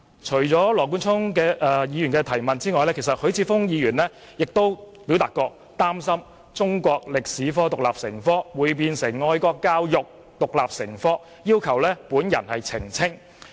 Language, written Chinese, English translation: Cantonese, 除了羅冠聰議員外，許智峯議員亦表示他擔心中史獨立成科，會變成愛國教育獨立成科，並要求我作出澄清。, Besides Mr Nathan LAW Mr HUI Chi - fung also expressed his worries that if Chinese History is taught as an independent subject it may become an independent subject on patriotic education and he has asked me for clarification